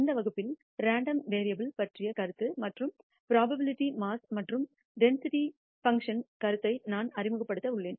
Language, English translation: Tamil, In this lecture, I am going to introduce the notion of random variables and the idea of probability mass and density functions